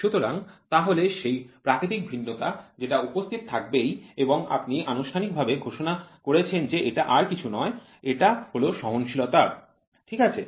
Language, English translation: Bengali, So, that is the natural variability which is there and you officially declare that is nothing, but the tolerance, ok